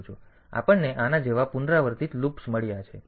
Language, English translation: Gujarati, So, with we have got iterative loops like this